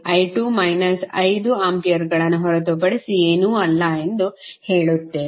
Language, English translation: Kannada, We will say i 2 is nothing but minus 5 ampere